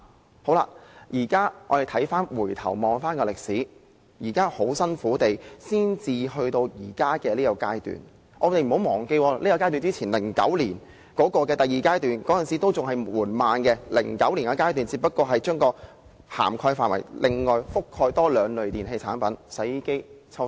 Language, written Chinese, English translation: Cantonese, 回顧歷史，我們千辛萬苦才達至目前的階段 ，2009 年第一階段強制性標籤計劃實施以後，第二階段的實施進度也非常緩慢，而第二階段只是納入另外兩類電器產品，即洗衣機和抽濕機。, In retrospect we will realize that we have gone through innumerable difficulties to come to the current phase . Following the implementation of the first phase of MEELS in 2009 the pace of implementing the second phase was also very much slow . In the second phase only two additional types of electrical appliances were included namely washing machines and dehumidifiers